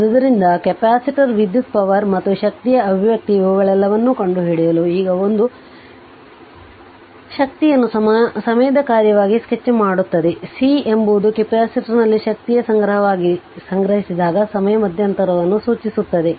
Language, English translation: Kannada, So, what what we have to do is that, we have to find out all these derive the expression for the capacitor current power and energy, this is now a, sketch b sketch the energy as function of time, c specify the inter interval of time when the energy is being stored in the capacitor right